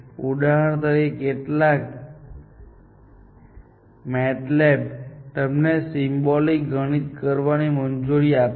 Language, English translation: Gujarati, Some MATLAB, for example, will also allow you to do symbolic mathematics